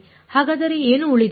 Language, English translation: Kannada, So, then what remains